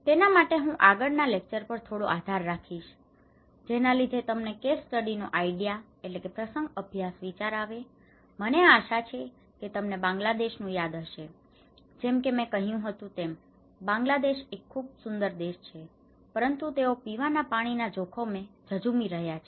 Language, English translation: Gujarati, For that, I would depend little on the previous lecture in order to get the case study idea, I hope you remember the Bangladesh one, so in Bangladesh we said that this is a beautiful country, they are battling with drinking water risk